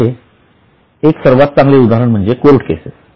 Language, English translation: Marathi, One of the best example are court cases